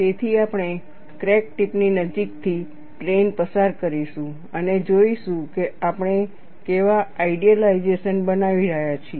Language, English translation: Gujarati, So, we will pass a plane close to the crack tip, and look at what is the kind of idealizations that we are making